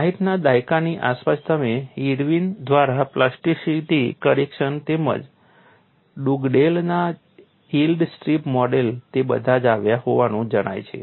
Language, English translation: Gujarati, Around sixty's, you find the plasticity correction by Irwin as well as Dug dale's yield strip model all of them came